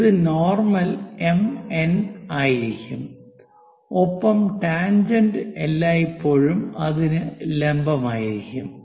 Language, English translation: Malayalam, This will be the normal M N and the tangent always be perpendicular to that